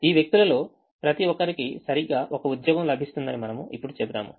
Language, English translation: Telugu, we will now say that each of these persons will get exactly one job